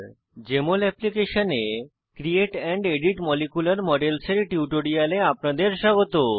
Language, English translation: Bengali, Welcome to this tutorial on Create and Edit molecular models in Jmol Application